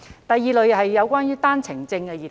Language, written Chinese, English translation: Cantonese, 第二類是單程證兒童。, The second category is children holding One - way Permit